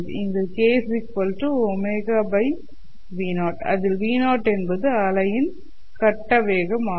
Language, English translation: Tamil, It is given by k equals omega by vp, where vp is the face velocity of the wave